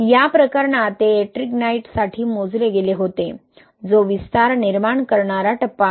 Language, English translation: Marathi, In this case it was calculated for Ettringite, which is the expansion causing phase